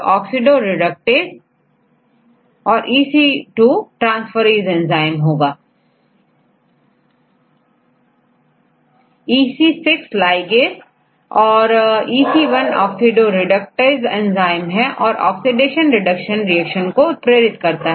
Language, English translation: Hindi, So, if it is EC 1 its oxidoreductase is and you can see it catalyze this oxidation or reduction reaction